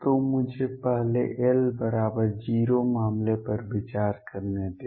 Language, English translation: Hindi, So, let me consider l equals 0 case first